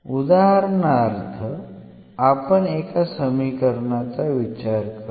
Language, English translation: Marathi, So, the given equation is exact